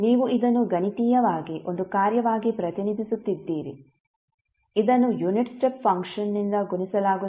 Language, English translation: Kannada, You are representing this mathematically as a function multiplied by the unit step function